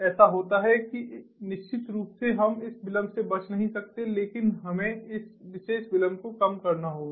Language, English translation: Hindi, definitely, you know we cannot avoid this delay, but we have to minimize this particular delay